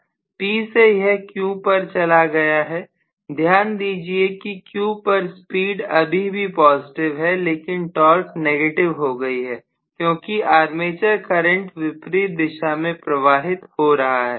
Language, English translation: Hindi, From P it will shift over to Q, please note in Q the speed is still positive, but the torque is negative because you are having the armature current in the opposite direction